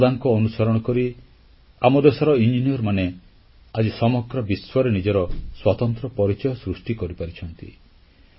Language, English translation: Odia, Following his footsteps, our engineers have created their own identity in the world